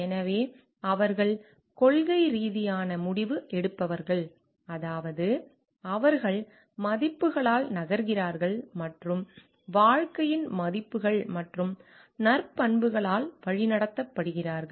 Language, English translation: Tamil, So, their principled decision makers, means, they move by values and guided by values and virtues of life